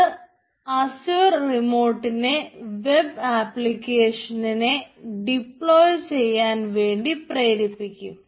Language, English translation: Malayalam, this will push to the azure remote to deploy our web application, so it will take some time